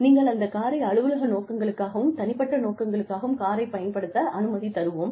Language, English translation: Tamil, We will let you use the car, for official and personal purposes